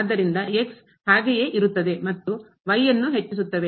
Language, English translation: Kannada, So, will remain as it is and they will be incrementing